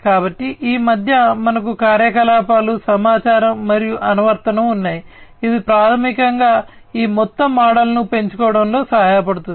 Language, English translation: Telugu, So, in between we have the operations, information, and application, which will basically help in grewing up this entire model